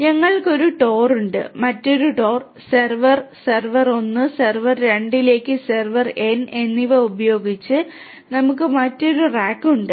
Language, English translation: Malayalam, So, we have one TOR, we have another rack with another TOR, server, server 1, server 2 to server n so, whatever be the n right